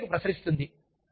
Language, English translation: Telugu, It just radiates out